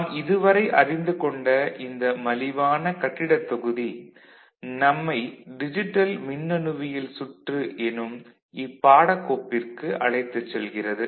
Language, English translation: Tamil, This inexpensive building block actually will take us to this particular course, that is, digital electronics circuit